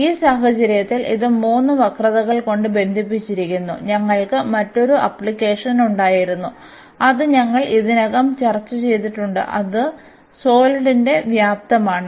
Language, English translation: Malayalam, So, in this case it was enclosed by a 3 curves and we had another application which we have already discussed that is the volume of the solid